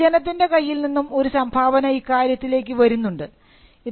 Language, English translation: Malayalam, So, there is a contribution that comes from the public as well